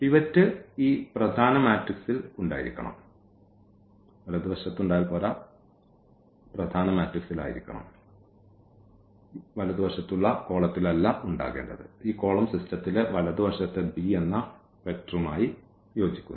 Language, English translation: Malayalam, The pivot should be there in this main matrix here not in this rightmost column which corresponds to this right hand side vector b ok